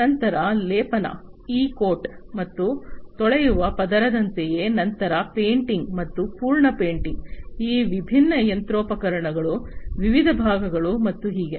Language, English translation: Kannada, Then something like you know a layer of coating e coat and wash, then painting, full painting, of these different machinery that the different, different parts and so on